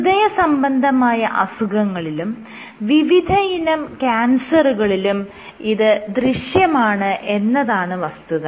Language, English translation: Malayalam, So, you have it in diseases in cardiovascular diseases and in cancers